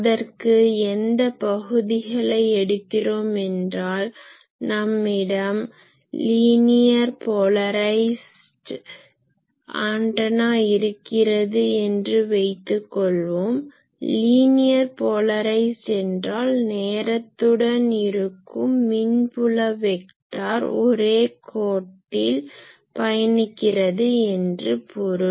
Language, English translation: Tamil, So, which sections it is for that what we do, we define that if we have a linearly polarized antenna; that means, linearly polarized means the electric field vector is having a with time it is maintaining a along a line